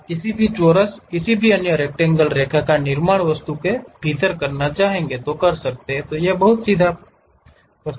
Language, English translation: Hindi, You would like to construct any square, any other rectangle line within the object it is pretty straight forward